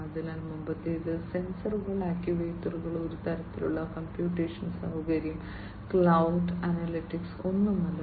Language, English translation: Malayalam, So, the previous one was without any sensors, actuators, without any kind of computational facility, no cloud, no analytics, nothing